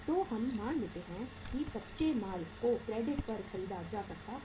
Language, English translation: Hindi, So we assume that the raw material is being purchased on the credit